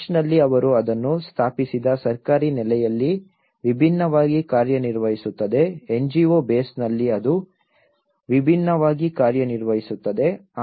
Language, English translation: Kannada, In church, they set up it acts differently in a government base set up it act differently, in a NGO base set up it acts differently